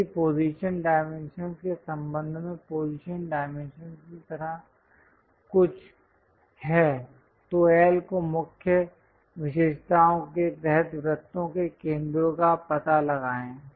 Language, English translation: Hindi, If there are something like position dimensions with respect to position dimensions locate L the center of circles under the key features